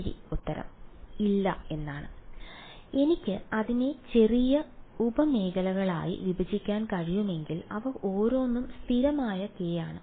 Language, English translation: Malayalam, Well answer is yes and no yes, if I can break it up into small sub regions each of which is constant k